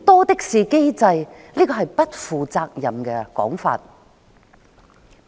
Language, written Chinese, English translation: Cantonese, 這是不負責任的說法。, It is irresponsible to say so